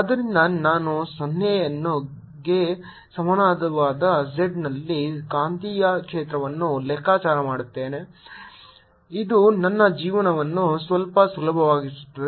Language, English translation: Kannada, so i'll calculate magnetic field at z equal to zero, which makes my life a little easy